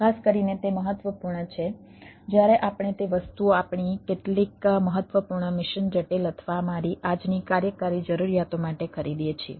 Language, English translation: Gujarati, especially, it is critical when we purchase those things for our some of the machine critical or, my day today, operational requirement